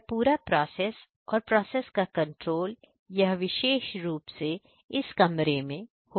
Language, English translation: Hindi, So, for this entire process the process control is done from this particular room right